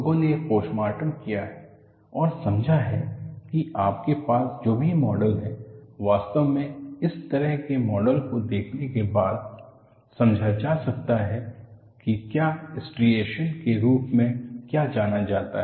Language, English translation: Hindi, In fact, it is so, people have done postmortem and understood whatever the model that you have in the such model is explainable by looking at what are known as striations we look at that